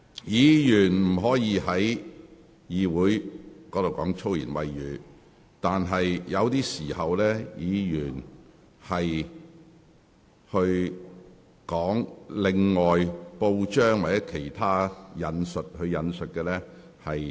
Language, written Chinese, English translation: Cantonese, 議員不可在議會說粗言穢語，但可在適當時候引述報章或其他人士的用語。, Members may not say foul language in this Council they may cite words in newspapers or quote another persons remarks as may be appropriate